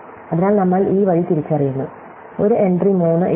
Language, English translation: Malayalam, So, we identify this way, we put an entry 3